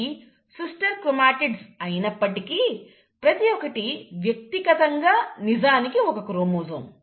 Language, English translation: Telugu, These are sister chromatids, but each one of them is actually a chromosome